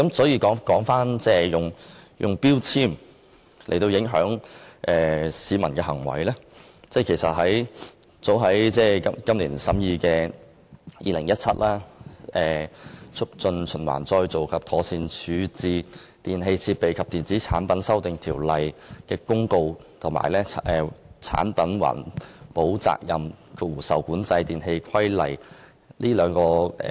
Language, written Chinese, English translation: Cantonese, 有關使用標籤影響市民行為的另一法例，就是立法會今年早前審議的《2017年〈2016年促進循環再造及妥善處置條例〉公告》及《產品環保責任規例》。, Earlier this year the Legislative Council scrutinized the Promotion of Recycling and Proper Disposal Amendment Ordinance 2016 Commencement Notice 2017 the Notice and the Product Eco - Responsibility Regulation . It is another piece of legislation which seeks to change peoples behaviour with the use of labels